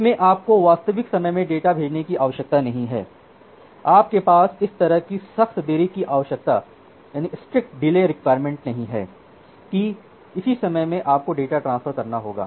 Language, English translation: Hindi, So, here you do not need to send the data in real time you do not have a such strict delay requirement that by within this time you have to transfer the data